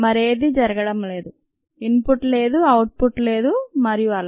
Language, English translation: Telugu, ok, there is no input, there is no output, and so on